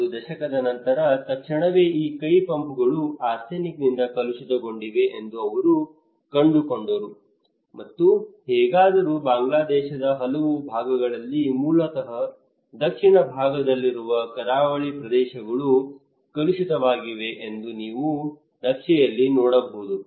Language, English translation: Kannada, Immediately after one decade, they found these hand pumps are contaminated by arsenic and anyway so in many parts of Bangladesh are basically the coastal areas in the southern part as you can see in the map they are contaminated